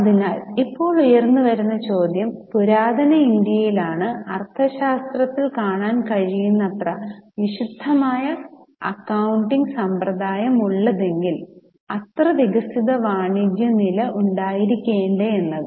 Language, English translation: Malayalam, So, now the question which may arise is, in the ancient India, is it possible that we have such a detailed system of accounting as you can see in Arthashtra because system of accounting should be supported by that much level of developed commerce